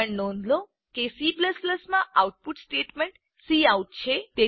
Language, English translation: Gujarati, Also, note that the output statement in C++ is cout